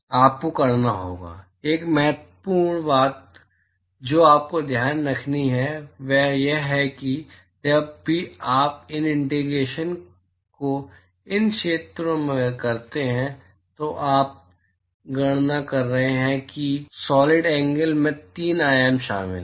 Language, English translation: Hindi, You have to; One important thing you have to keep in mind is whenever you do these integration these area that you are calculating and the solid angle it involves three dimensions